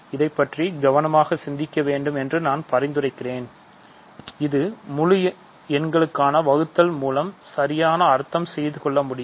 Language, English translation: Tamil, So, I suggest that you think about this carefully this is exactly what we mean by division for integers